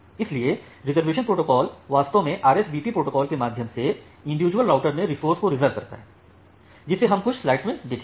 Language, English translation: Hindi, So, the reservation protocol actually reserves the resources in individual routers, through the RSVP protocol that we will look after a couple of slides